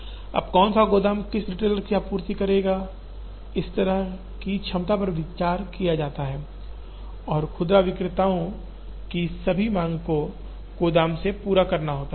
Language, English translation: Hindi, Now, which warehouse will supply to which retailer such that, the capacity is considered and all the demand of retailers has to be met from the warehouse